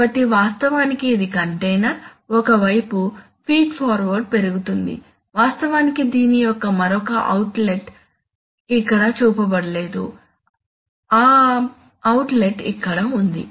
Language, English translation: Telugu, So actually the, this is, this is the container, on one hand the feed water increases, in fact, there is, there is another outlet of this which is not shown here, that outlet is here